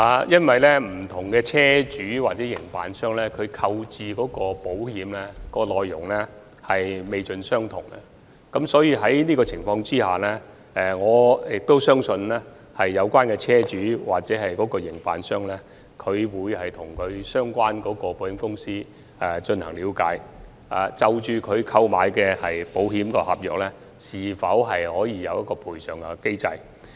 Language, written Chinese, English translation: Cantonese, 因為不同車主或營辦商購置保險的內容不盡相同，在這樣的情況下，我相信有關的車主或營辦商會向相關的保險公司，了解他們購買的保險合約是否有賠償機制。, Since the terms contained in the insurance policies procured by different vehicle owners or service operators are not all the same I think the vehicle owners or service operators concerned should enquire with their insurance companies to see whether a compensation mechanism is available under their insurance contract